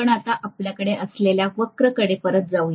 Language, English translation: Marathi, If I go back to the curve earlier what I have, right